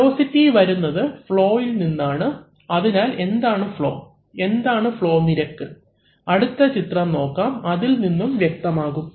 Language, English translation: Malayalam, So, and that velocity comes from flow, right, so what is the flow, the flow is, what is the flow rate because let us look at the next diagram, then this picture will be clear